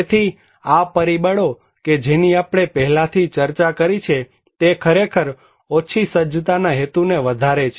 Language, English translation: Gujarati, So, these factors we discussed already can actually increase the low preparedness intention